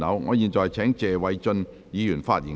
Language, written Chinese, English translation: Cantonese, 我現在請謝偉俊議員發言及動議議案。, I now call upon Mr Paul TSE to speak and move the motion